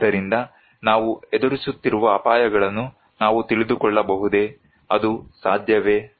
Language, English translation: Kannada, So, can we know the risks we face, is it possible